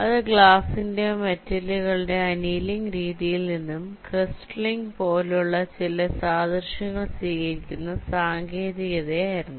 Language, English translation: Malayalam, so it was a technique which was using some analogy from the process of annealing of glass or metals, the way they are crystallized